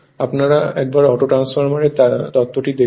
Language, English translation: Bengali, Just see the theory for auto transformer whatever had been done right